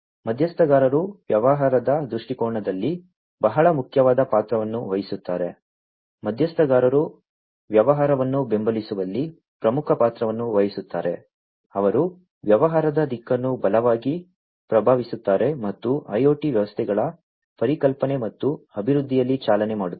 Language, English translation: Kannada, Stakeholders play a very important role in the business viewpoint, the stakeholders play the major role in supporting the business, they strongly influence the direction of the business, and driving in the conception, and development of IIoT systems